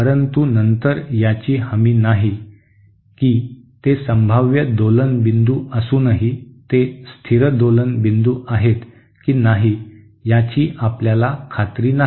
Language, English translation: Marathi, But then there is no guarantee that even though they are potential oscillation points we are not sure whether they are stable oscillation points